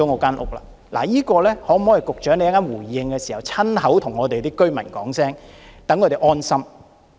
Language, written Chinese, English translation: Cantonese, 就這一點，能否請局長在稍後回應時親口對居民解釋一下，讓他們安心？, In this connection may I ask the Secretary to explain to them personally in his subsequent reply so as to give them peace of mind?